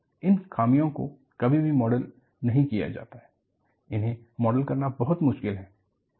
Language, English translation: Hindi, These imperfections are never model, very difficult to model